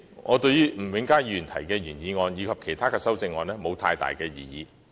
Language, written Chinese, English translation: Cantonese, 我對於吳永嘉議員動議的原議案，以及其他議員的修正案沒有太大異議。, I do not have strong objection to the original motion moved by Mr Jimmy NG or the amendments of other Members